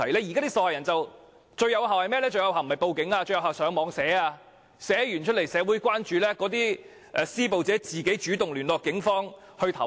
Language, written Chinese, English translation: Cantonese, 現時，受害人採用的方法不是報警，而是在網上貼文，喚起社會的關注，令施暴者主動聯絡警方投案。, Nowadays the victims would rather issue online posts than report to the Police in the hope of arousing public concern and compelling the perpetrators to turn themselves in to the Police